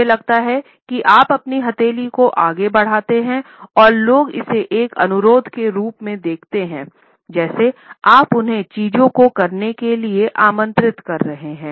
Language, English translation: Hindi, If you extend your palm out and up people see this more as a request like you are inviting them to do things